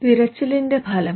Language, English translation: Malayalam, Outcome of search